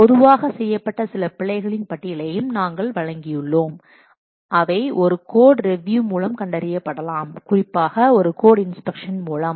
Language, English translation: Tamil, We have also presented a list of some commonly made errors which can be detected by what code review, particularly by code inspection